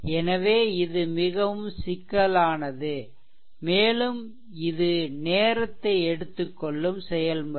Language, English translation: Tamil, So, this is very mush your cumbersome, and it is time consuming process